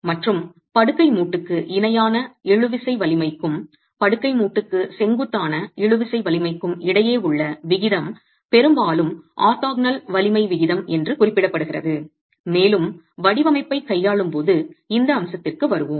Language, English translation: Tamil, And the ratio between the tensile strength parallel to the bed joint and the tensile strength normal to the bed joint is very often referred to as the orthogonal strength ratio and we'll come back to this aspect when we deal with design